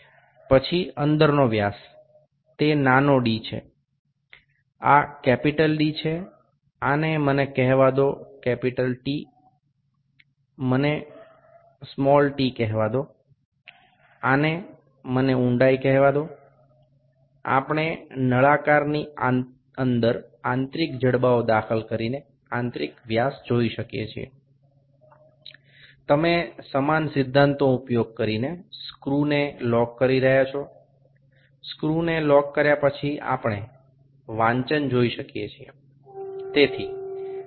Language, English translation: Gujarati, Next is the internal dia, this is small d, this is capital d, this is let me call it capital T, let me call it small t, let me call this depth, we can see the internal dia as well by inserting the internal jaws inside the cylinder, you are locking the screws using the same principle, after locking the screws we can see the reading